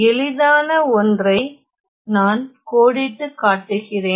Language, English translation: Tamil, So, let me just outline the easiest one